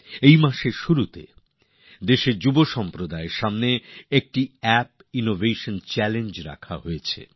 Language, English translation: Bengali, At the beginning of this month an app innovation challenge was put before the youth of the country